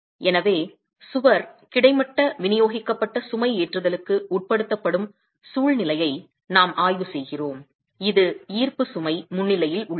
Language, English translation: Tamil, So, we are examining a situation where the wall is subjected to horizontally distributed, horizontal distributed loading and this is in the presence of gravity load